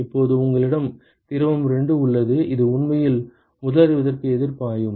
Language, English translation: Tamil, Now, you have fluid 2 which is actually flowing counter currently to the first fluid ok